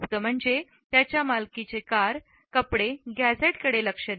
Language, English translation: Marathi, The secret is paying attention to the cars, clothes and gadgets that he owns